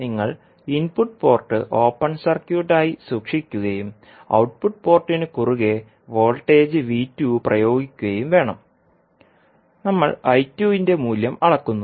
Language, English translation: Malayalam, You have to keep input port as open circuit and apply voltage V2 across the output port and we measure the value of I2